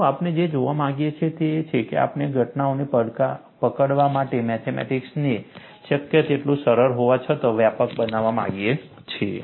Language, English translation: Gujarati, See, what we want to look at is, we want to have the mathematics as simple as possible; a comprehensive to capture the phenomena